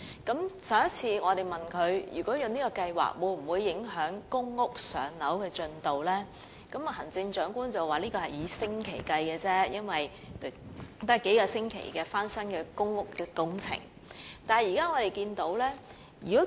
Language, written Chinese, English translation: Cantonese, 在行政長官答問會上，我們問她這項計劃會否影響公屋的"上樓"輪候時間，她表示相關影響只是以星期計，因為翻新公屋單位的工作只需數星期時間。, In the Chief Executives Question and Answer Session we asked her whether the implementation of the GSH Scheme would affect the waiting time for PRH . She said the impact would be minimal―only for weeks―as the renovation of the relevant PRH units would only take a few weeks